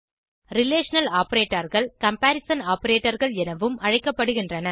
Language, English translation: Tamil, Relational operators are also known as comparison operators